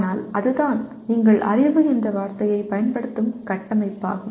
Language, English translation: Tamil, But that is the framework in which you are using the word knowledge